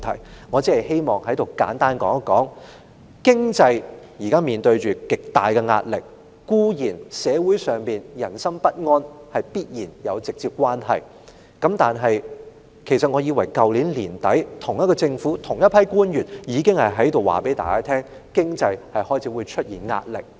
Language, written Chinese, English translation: Cantonese, 在此，我只希望簡單地說，經濟現正面對極大壓力，這固然與社會上人心不安有直接關係，但其實自去年年底，同一個政府的同一批官員已告訴大家，經濟開始會面臨壓力。, Here I only wish to say simply that the economy is now facing tremendous pressure and this of course is directly related to the anxiety experienced by the people . But then actually since the end of last year the same batch of officials in the same Government have told us that the economy was going to come under pressure